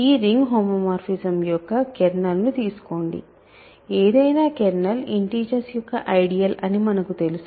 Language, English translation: Telugu, So, consider the kernel of this ring homomorphism, we know that any ideal kernel is an ideal of the integers